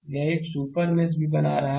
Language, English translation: Hindi, So, this is also creating another super mesh